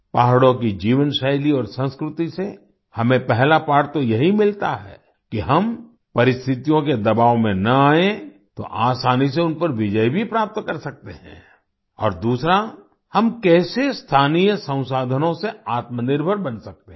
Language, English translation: Hindi, The first lesson we get from the lifestyle and culture of the hills is that if we do not come under the pressure of circumstances, we can easily overcome them, and secondly, how we can become selfsufficient with local resources